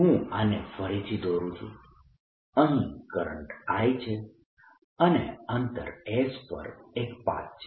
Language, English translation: Gujarati, drawing it again, going is the current i and there is a path and distance s